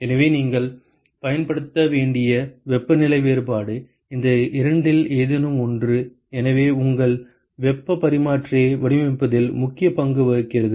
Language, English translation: Tamil, So, the temperature difference that you should use is either of these two so that plays an important role in designing your heat exchanger